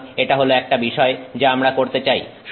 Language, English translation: Bengali, So, that is some thing that we want to do